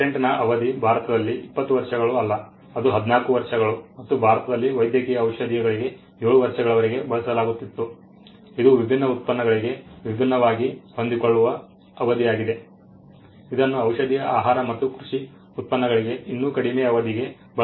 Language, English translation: Kannada, The duration of a patent was not 20 years in India it use to be 14 years and for pharmaceuticals in India the term used to be up to 7 years, it was a flexible term if it used to be different for pharmaceutical food and agricultural products the term used to be even lesser